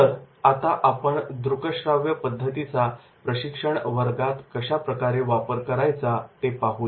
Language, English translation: Marathi, So, we will see how to use the audio visuals in the training class